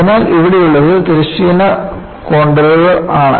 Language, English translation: Malayalam, So, what you have here is I have horizontal contours